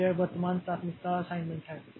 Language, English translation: Hindi, So, this is the current priority assignment